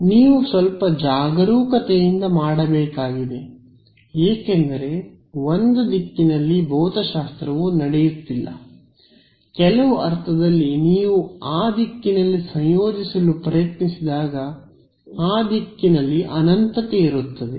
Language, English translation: Kannada, You have to do a little carefully because if one direction there is no physics happening in one direction, in some sense there is an infinity in that direction when you try to integrate in that direction